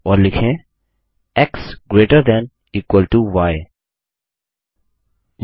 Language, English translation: Hindi, And write x greater than equal to y